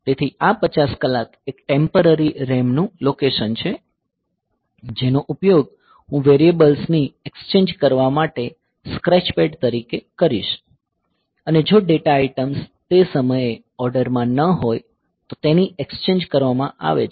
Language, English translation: Gujarati, So, this 50 h is a temporary RAM location which I will be using as a scratch pad for exchanging the variables if the exchanging the data items if they are out of order then